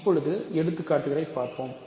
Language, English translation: Tamil, So, now, let us look at examples